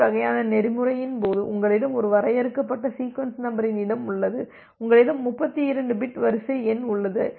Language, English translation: Tamil, So, you have a finite sequence number space in case of TCP kind of protocol, you have 32 bit sequence number